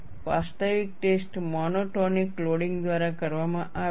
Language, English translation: Gujarati, The actual test is done by monotolic loading